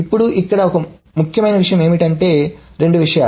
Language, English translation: Telugu, Now, one important thing here is that a couple of things